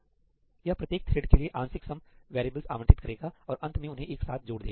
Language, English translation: Hindi, It will allocate partial sum variables for each thread and in the end add them up together